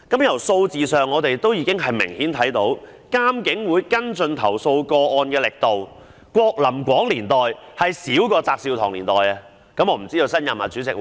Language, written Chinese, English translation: Cantonese, 從數字上已明顯可見，監警會跟進投訴個案的力度，在郭琳廣任主席的時期較翟紹唐任主席時弱。, It is evident in the numbers that the strength of complaint handling of IPCC has weakened during the chairmanship of Larry KWOK as compared with that of JAT Sew - tong